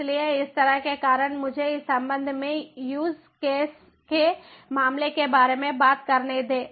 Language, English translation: Hindi, so these sort of because let me just talk about a, a a use case with respect to this